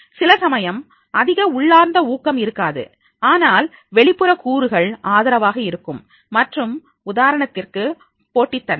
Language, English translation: Tamil, Sometimes may not be that high intrinsic motivation, but external factors are supportive and they like for example the competitiveness